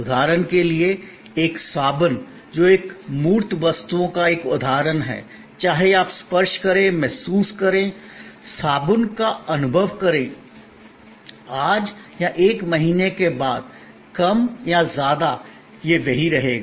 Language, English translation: Hindi, For example a soap, which is an example of a tangible goods, whether you touch, feel, experience the soap, today or a month later, more or less, it will remain the same